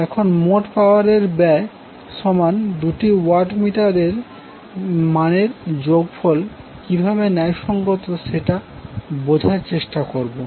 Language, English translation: Bengali, Now, let us understand how we can justify the total power consumed is equal to the sum of the two watt meter readings